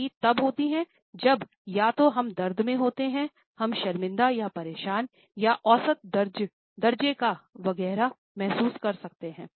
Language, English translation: Hindi, The rest occurs when either we are in pain, we may feel embarrassed or distressed or measurable etcetera